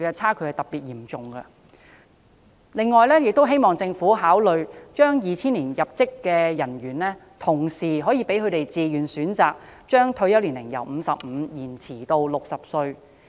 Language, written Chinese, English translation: Cantonese, 此外，我亦希望政府考慮讓2000年入職的人員可以自願選擇把退休年齡由55歲延遲至60歲。, In addition I also hope that the Government will consider allowing the personnel who entered the disciplined services in 2000 the choice of extending their retirement age from 55 to 60